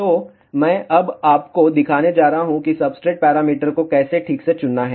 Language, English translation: Hindi, So, I am going to now show you how to properly choose substrate parameter